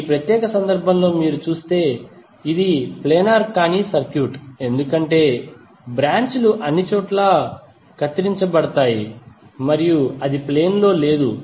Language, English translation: Telugu, While in this particular case if you see this is non planar circuit because the branches are cutting across and it is not in a plane